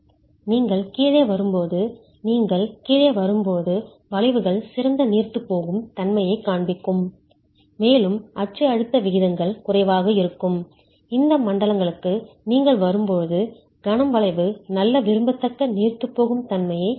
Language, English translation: Tamil, As you come down, as you come down the moment curvatures will show better ductility and when you come to these zones you will get when you come to the zones in which the axial stress ratios are low the moment curvature will show good desirable ductility